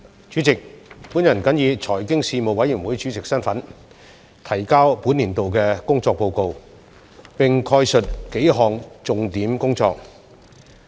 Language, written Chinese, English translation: Cantonese, 主席，我謹以財經事務委員會主席身份，提交本年度的工作報告，並概述數項重點工作。, President in my capacity as Chairman of the Panel on Financial Affairs the Panel I submit the work report of the Panel for this session and briefly highlight its work in several key areas